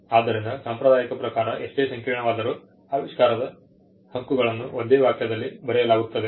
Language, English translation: Kannada, So, by convention, no matter how complicated, the invention is claims are written in one sentence